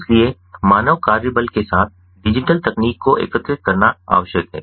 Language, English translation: Hindi, so it is required to integrate digital technologies with the human work force